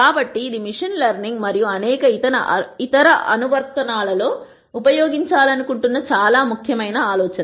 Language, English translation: Telugu, So, that is a very important idea that we want to use in machine learning and various other applications